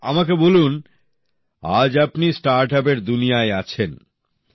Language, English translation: Bengali, Ok tell me…You are in the startup world